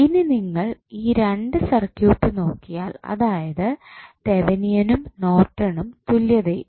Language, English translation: Malayalam, Now, let us understand the close relationship between Thevenin circuit and Norton's circuit